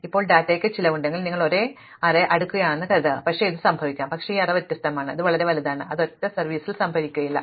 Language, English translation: Malayalam, Now, this could happen if data has a cost, supposing you are sorting an array, but this array is across different, it is so big that it is not stored on a single server